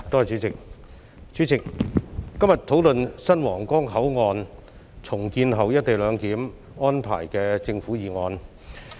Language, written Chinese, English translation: Cantonese, 主席，今天，本會討論有關新皇崗口岸在重建後實施"一地兩檢"安排的政府議案。, President today this Council is having a discussion about the government motion on implementing co - location arrangement at the redeveloped Huanggang Port